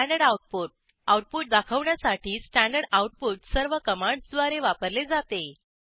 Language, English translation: Marathi, Standard output: Standard output is used by all commands to display output